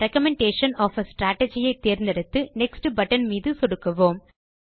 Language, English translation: Tamil, Select Recommendation of a strategy and click on the Next button